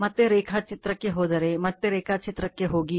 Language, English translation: Kannada, if you go to the diagram again , if, you go to the diagram again